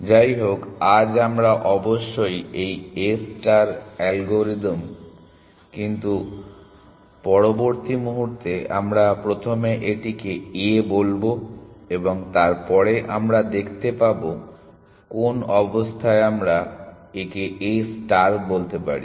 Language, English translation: Bengali, this algorithm A star, but further moment we will just first call it A and then we will see in what condition we can call it A star